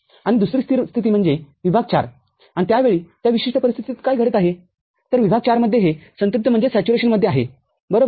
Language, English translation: Marathi, And the other stable condition is region IV; and at that time what is happening in the that particular condition; in region IV so this is in saturation, right